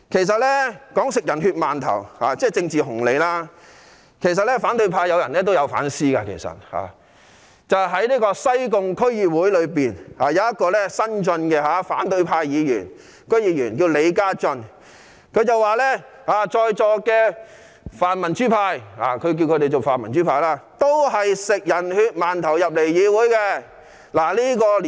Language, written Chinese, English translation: Cantonese, 說到吃"人血饅頭"，即賺取政治紅利，其實反對派中也有人有反思，例如西貢區議會有一名新晉的反對派議員李嘉睿，他說在座的泛民主派議員都是吃"人血饅頭"進入議會的。, When it comes to eating steamed buns dipped in human blood that is earning political dividends some people in the opposition camp did reflect on themselves . A young Sai Kung District Council member from the opposition camp LEE Ka - yui for example said that pan - democratic Members present at the meeting were all elected to this Council by eating steamed buns dipped in human blood